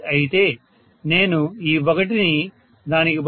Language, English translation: Telugu, 8, I should have put this 1 as, instead of that 0